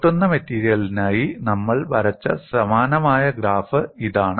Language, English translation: Malayalam, This is again a similar graph that we had drawn for a brittle material